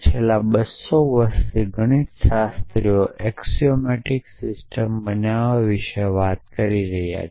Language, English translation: Gujarati, So, last 200 years mathematician have been talking about building axiomatic system